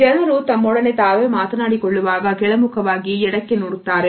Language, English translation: Kannada, When they are taking to themselves they look down onto the left